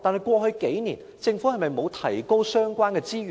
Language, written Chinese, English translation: Cantonese, 過去數年，政府是否沒有提高相關資源呢？, Over the past few years has the Government not increased the relevant resources?